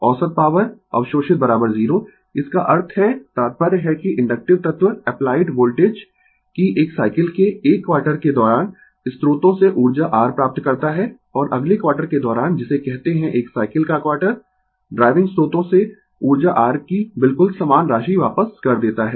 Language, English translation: Hindi, The average power absorbed is equal to 0; that means, the implication is that the inductive element receives energy your from the sources during 1 quarter of a cycle of the applied voltage and returns your exactly the same amount of energy to the driving sources during the next quarter your what you call quarter of a cycle